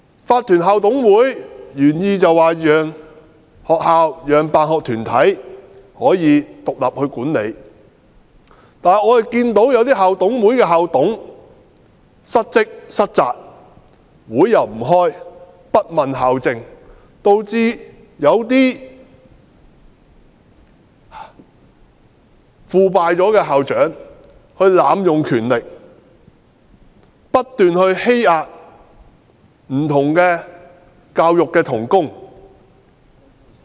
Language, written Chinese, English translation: Cantonese, 法團校董會的原意是讓學校和辦學團體可以獨立管理學校，但一些校董會的校董失職、失責，不開會，不問校政，導致有些腐敗的校長濫用權力，不斷欺壓不同的教育同工。, Incorporated Management Committees IMCs were initially set up so that schools could be independently managed by themselves and their school sponsoring bodies but as some school managers failed to perform their duties and responsibilities did not attend meetings and did not bother to question school policies some corrupt school principals abused their powers and kept bullying different fellow members of the teaching staff